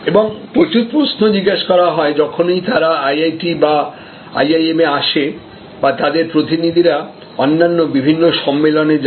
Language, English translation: Bengali, And lots of questions are asked, whenever they come to IITs or IIMs or their representatives visit various other conferences